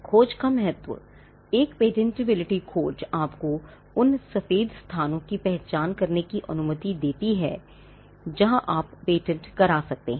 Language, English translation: Hindi, A patentability search allows you to identify the white spaces where you can patent